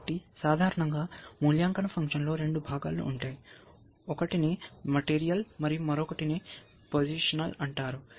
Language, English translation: Telugu, So, typically an evaluation function will have two components, one is call material and other is called positional